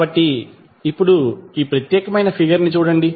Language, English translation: Telugu, So, now look at this particular figure